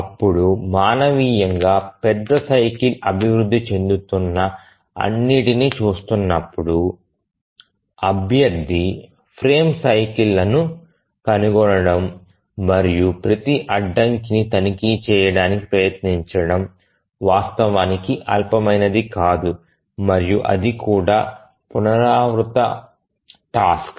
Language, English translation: Telugu, Manually looking at all developing the major cycle, finding out candidate frame cycles and then trying to check every constraint is actually non trivial and that too it's an iterative task